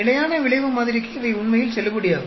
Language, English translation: Tamil, These are actually valid for fixed effect model